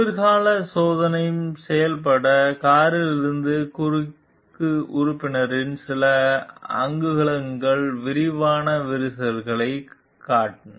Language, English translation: Tamil, A few inches of the cross member from the car that was winter tested showed extensive cracking